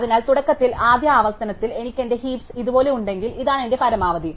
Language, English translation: Malayalam, So, initially, in the first iteration, if I have my heap looking like this, this is my maximum